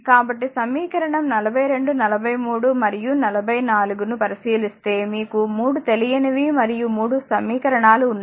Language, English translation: Telugu, So, if you look into that that equation 42, equation 43 and 44 that 3 unknown and 3 equations we have to solve it